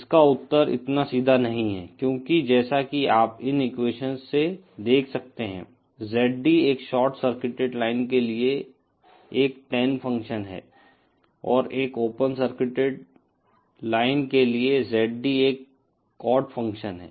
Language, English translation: Hindi, The answer is not so straightforward because as you can see from these equations, ZD is a tan function for a short circuited line and for an open circuited line, ZD is a cot function